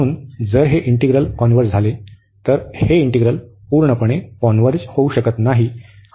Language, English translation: Marathi, So, if the integral converges, the integral may not converge absolutely